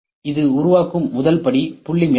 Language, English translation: Tamil, The first step is the point cloud